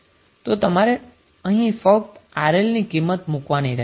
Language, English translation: Gujarati, You will just put the value of RL